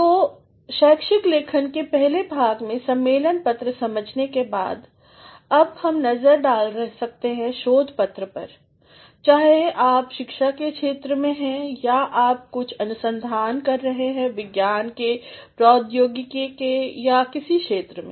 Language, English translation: Hindi, So, having understood conference paper in the first part of academic writing, now we can have a look at a research paper, whether you are in the field of academia or you are doing some amount of research in the field of science and technology or in some other fields